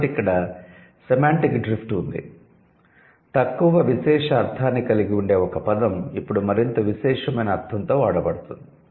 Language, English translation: Telugu, So, there has been a semantic drift from being or less privileged or from having a less privileged meaning it has come to a more privileged meaning